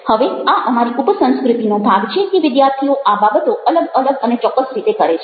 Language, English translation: Gujarati, now, this is part of our subculture that students do this things in a distinctive or a specific way